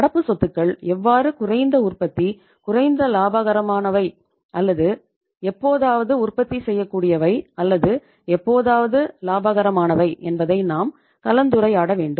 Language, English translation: Tamil, Now, we would come to a discussion that how current assets are least productive, least profitable, or sometime not at all productive, not at all profitable